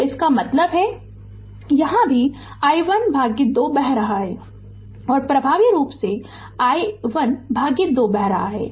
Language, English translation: Hindi, So, that means, here also flowing i 1 by 2 here also effectively flowing i 1 by 2